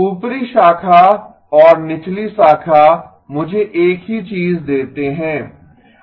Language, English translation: Hindi, Upper branch and the lower branch give me the same thing